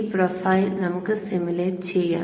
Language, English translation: Malayalam, So this file let us simulate